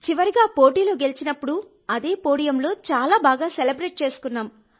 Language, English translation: Telugu, When we won the fight at the end, we celebrated very well on the same podium